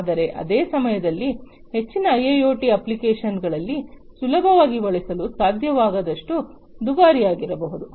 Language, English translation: Kannada, But at the same time it should not be too expensive to be not being able to use easily in most of the IIoT applications